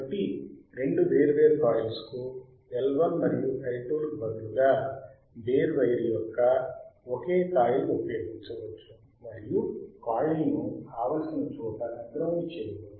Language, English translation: Telugu, So, instead of two separate coilns as L 1 and L 2,; a single coil of bare wires can be used iandn the coil grounded at any desired point along it